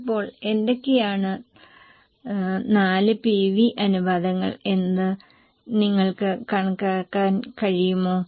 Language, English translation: Malayalam, Now what are the 4 PV ratios can you calculate